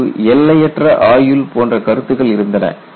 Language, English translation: Tamil, See, earlier you had concepts like infinite life